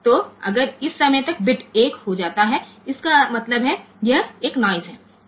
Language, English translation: Hindi, So, if the bit becomes 1 by this time; that means, it was a noise ok